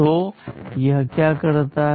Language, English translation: Hindi, So, what it does